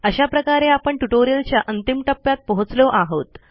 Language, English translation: Marathi, This brings us to end of this tutorial